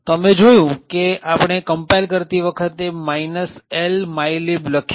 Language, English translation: Gujarati, So, what you see here is that while compiling we specify minus L mylib